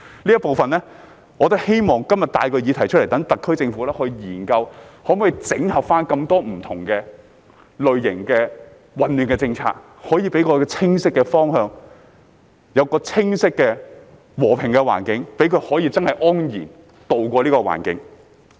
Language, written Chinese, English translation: Cantonese, 我今天希望帶出這部分的議題，讓特區政府研究可否整合多種不同類型牌照，理順混亂的政策，給我們清晰的方向、和平的環境，讓居民真的可以安然渡過。, I bring up the issue in this respect today in the hope that the SAR Government will study the possibility of rationalizing the policy mess by integrating different types of licences and provide us with a clear direction as well as a peaceful environment so that the residents can go through the transition with true peace of mind